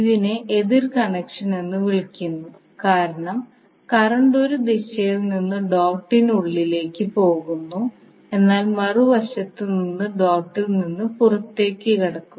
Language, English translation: Malayalam, Because this is called opposing connection current is going inside the dot from one direction but exiting the dot from other side